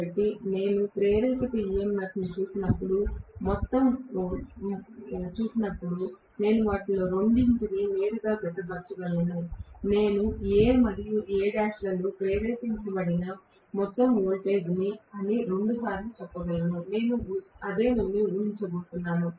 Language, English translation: Telugu, So, when I look at the induce EMF I can directly add two of them together, I can say two times E is the overall voltage induced in A and A dash, that is what I am going to assume